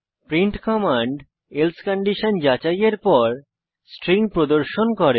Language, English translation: Bengali, print command displays the string after checking the else condition